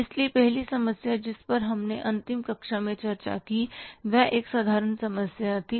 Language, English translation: Hindi, So the first problem which we discussed in the last class, it was a simple problem